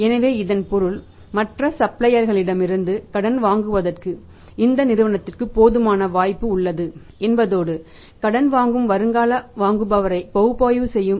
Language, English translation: Tamil, So, it means there is a sufficient scope for this company to buy on the credit from the other suppliers and if the company who is making analysis of the prospective buyer on credit